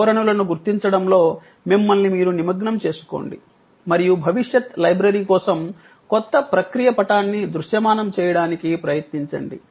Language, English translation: Telugu, Engage yourself with trends spotting and try to visualize the new process map for the library of the future